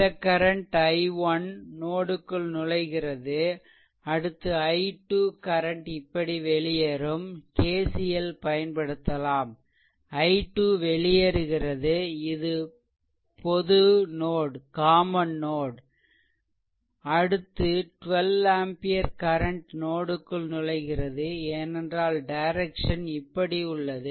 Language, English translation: Tamil, So, this i 1 current entering into the node so, this current is i 1 this is entering into the node, then i 2 current emitting like this the way we ah explain that KCL this is your i 2 current it is leaving the node then this is a common node then 12 ampere current it is entering into the node because direction is this way entering into the node